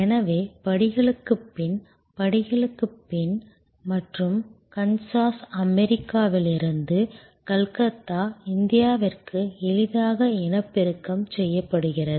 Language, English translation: Tamil, So, steps after steps, after steps and easily reproduced from Kansas USA to Calcutta India